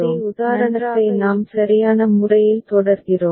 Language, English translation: Tamil, So, the same example we continue with right